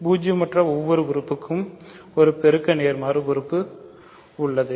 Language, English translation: Tamil, So, every non zero element has a multiplicative inverse